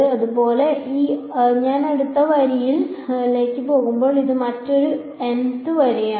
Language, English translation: Malayalam, So, similarly when I go to the next row this is yet another the mth row